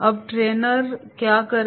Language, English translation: Hindi, Now what trainer does